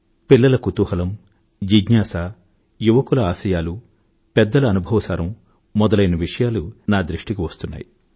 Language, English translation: Telugu, I have come across the inquisitiveness of children, the ambitions of the youth, and the gist of the experience of elders